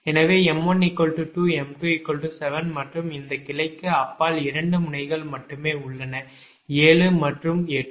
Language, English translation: Tamil, so m one is equal to two, m two is equal to seven and beyond, beyond this branch, only two nodes are there: seven and eight